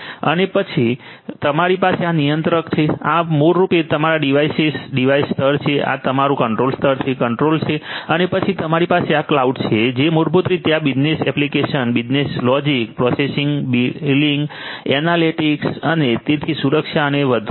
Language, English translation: Gujarati, And then you have this controller these are basically your devices, device layer, this is your control layer, controller and then you have on top you have these the cloud which basically caters to these business applications business logic you know pricing billing analytics and so on security and so on